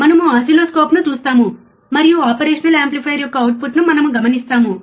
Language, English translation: Telugu, You can see we will see an oscilloscope and we will observe the output of operational amplifier